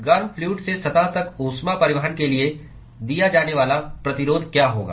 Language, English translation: Hindi, What will be the resistance offered for heat transport from the hot fluid to the surface